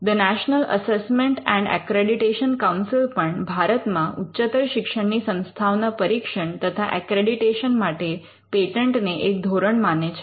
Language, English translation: Gujarati, The National Assessment and Accreditation Council also uses patents when it comes to assessing and accrediting higher education institutions in India